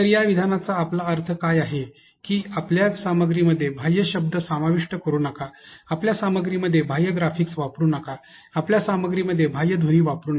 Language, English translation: Marathi, So, what do we mean by this statement is that do not include extraneous words in your content do not use extraneous graphics in your content, but do not use extraneous sounds in your content